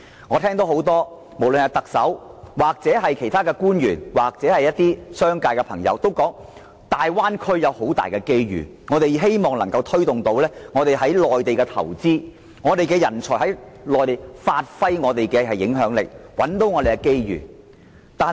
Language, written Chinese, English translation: Cantonese, 我聽到特首、官員和一些商界朋友都說大灣區將會提供很多機遇，因此希望推動港人在內地進行投資和發揮影響力，尋找機遇。, I have heard the Chief Executive government officials and businessmen say that the Guangdong - Hong Kong - Macau Bay Area will offer plenty of opportunities and express hope of encouraging Hong Kong people to make investments on the Mainland exert their influence and seek opportunities